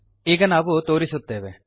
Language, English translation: Kannada, As we show now